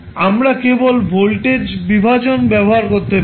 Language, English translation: Bengali, We can use by simply voltage division